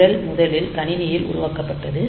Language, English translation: Tamil, So, the program is first developed on the pc